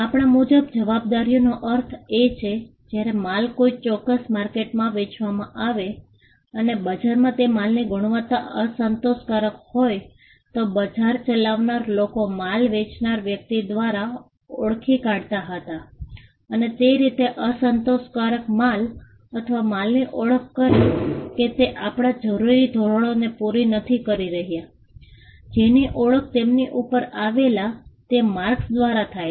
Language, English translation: Gujarati, By liability we mean, a when goods were sold in a particular market and that market, they if the quality of the goods was unsatisfactory then, the people who ran the market would identify the goods by the person who had sold it and a way to identify unsatisfactory goods or goods we did not meet the required standards was by identifying them with the marks